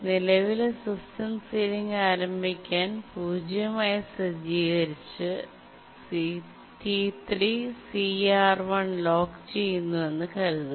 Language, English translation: Malayalam, To start with, the current system ceiling is set to 0 and let's assume that T3 locks CR1